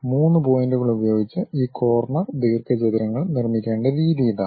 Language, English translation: Malayalam, This is the way we have to construct these corner rectangles using 3 points